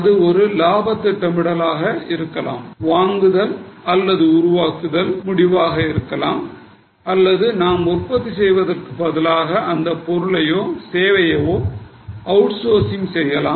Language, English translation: Tamil, It could be profit planning, it could be make or a decision or instead of we making we can go for outsourcing that product or going for outsourcing of a particular service